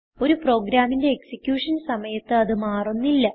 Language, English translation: Malayalam, They do not change during the execution of a program